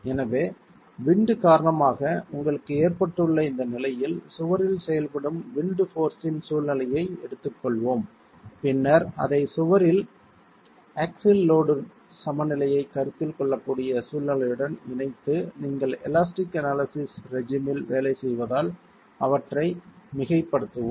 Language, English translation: Tamil, So, in this condition you have due to the wind, let's take the situation of just the wind force acting on the wall and then combine it with the situation where the axial load equilibrium can be considered in the wall and superpose them because you are working in the regime of elastic analysis